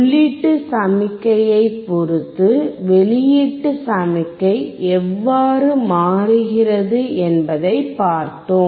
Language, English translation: Tamil, And we have seen how the output signal was changing with respect to input signal